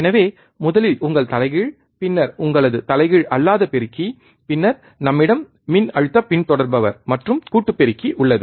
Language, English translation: Tamil, So, first is your inverting, then it is your non inverting amplifier, then we have voltage follower and summing amplifier